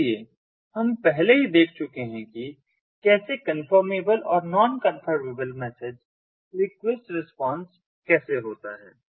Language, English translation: Hindi, so we have already looked at how the confirmable and the non confirmable message request response looks like